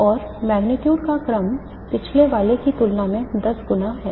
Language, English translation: Hindi, An order of magnitude is 10 times what is the previous one